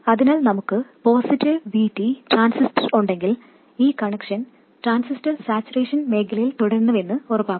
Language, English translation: Malayalam, So, if we have a positive VT transistor, this connection ensures that the transistor remains in saturation region